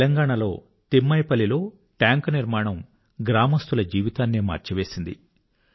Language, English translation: Telugu, The construction of the watertank in Telangana'sThimmaipalli is changing the lives of the people of the village